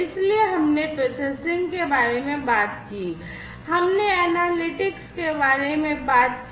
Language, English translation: Hindi, So, we talked about processing, we talked about analytics